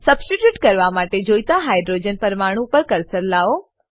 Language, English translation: Gujarati, Bring the cursor to the Hydrogen atom you want to substitute